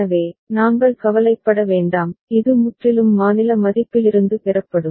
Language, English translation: Tamil, So, we don’t bother, it will be totally derived from the state value ok